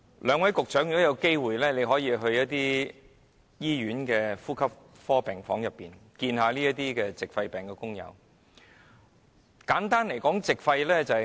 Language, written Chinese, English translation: Cantonese, 兩位局長如有機會，可到醫院的呼吸科病房，看看患上矽肺病工友的情況。, The two Secretaries could if having the chance visit the respiratory ward of a hospital to find out more about the situation of workers suffering from silicosis